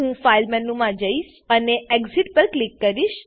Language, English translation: Gujarati, Ill Go to File menu and Ill click on Exit